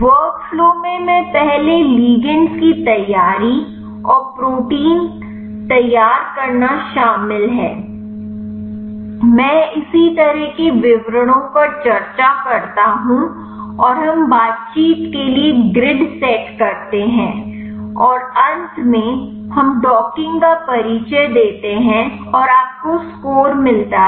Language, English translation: Hindi, The workflow includes first a preparation of the ligand and prepare the protein, I discuss the details similar classes and we set up the grid for the interactions and finally, we introduce the docking and you get the score between protein as well as the ligand